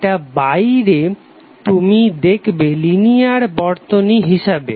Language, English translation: Bengali, External to that you will see as a linear circuit